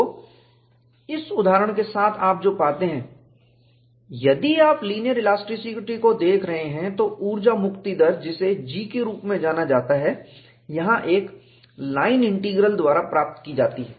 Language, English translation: Hindi, So, with this example, what you find is, if you are looking at linear elasticity, the energy release rate which is known as G there, is obtained by a line integral